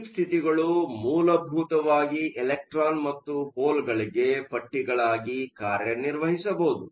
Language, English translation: Kannada, Deep states can essentially act as straps for electron and hole